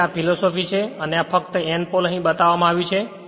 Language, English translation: Gujarati, So, this is the same philosophy and this is only N pole is shown here